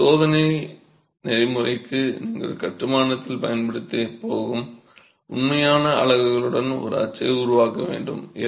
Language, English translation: Tamil, So, the test protocol requires that you create a mold with real units that you're going to be using in the wall construction